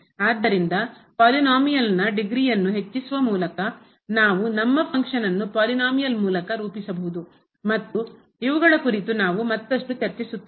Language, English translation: Kannada, So, by increasing the degree of the polynomial we can approximate our function as good as we like and we will discuss on these further